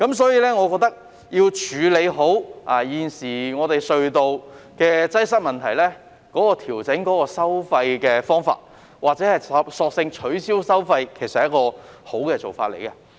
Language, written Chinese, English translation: Cantonese, 所以，我認為要處理好現時隧道擠塞的問題，調整收費或者索性取消收費是一個好做法。, For this reason I think that adjust the tolls or abolish them altogether is a good way to properly address traffic congestion at tunnels nowadays